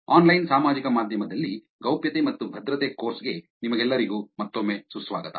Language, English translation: Kannada, Welcome back to the course Privacy and Security in Online Social Media